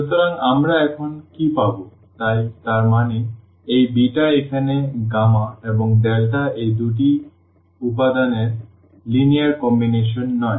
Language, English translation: Bengali, So, what do we get now, so; that means, this beta is not a linear combination of these two elements here gamma and delta